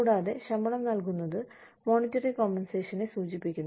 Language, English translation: Malayalam, And, pay salary refers to the, monetary compensation